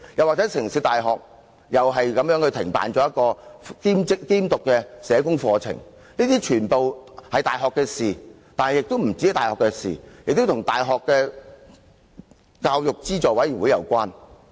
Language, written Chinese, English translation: Cantonese, 香港城市大學同樣停辦了一個兼讀社工課程，這些全是大學的事，而且不單是大學的事，亦與教資會有關。, Also the City University of Hong Kong has stopped offering a part - time social work programme . All these are the affairs of the universities but they are also connected with UGC